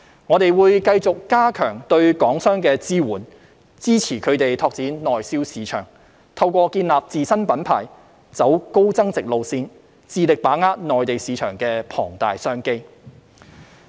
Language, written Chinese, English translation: Cantonese, 我們會繼續加強對港商的支援，支持他們拓展內銷市場，透過建立自身品牌，走高增值路線，致力把握內地市場的龐大商機。, We will continue to enhance our assistance for Hong Kong companies to support their promotion of domestic sales such that they will strive to seize the vast business opportunities of the Mainland markets through brand building and moving up in the value chain